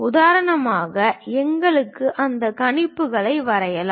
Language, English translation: Tamil, For example, for us draw those projections